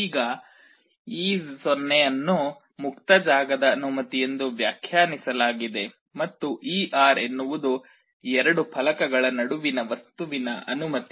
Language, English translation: Kannada, Now, e 0 is defined as the permittivity of free space, and e r is the permittivity of the material between the two plates